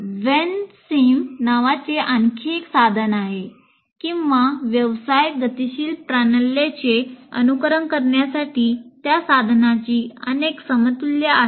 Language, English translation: Marathi, Then there is another tool called WENCIM are several equivalents of that is a tool for simulating business dynamic systems